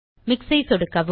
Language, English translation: Tamil, Left click Mix